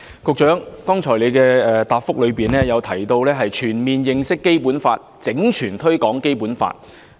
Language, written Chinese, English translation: Cantonese, 局長剛才的答覆提到，要全面認識《基本法》，整全推廣《基本法》。, The Secretary mentioned in his reply just now the need to comprehensively understand and promote the Basic Law